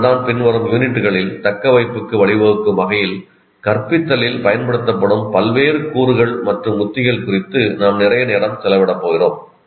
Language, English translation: Tamil, That's why in the later units we are going to spend a lot of time on various elements and strategies used in teaching that can lead to retention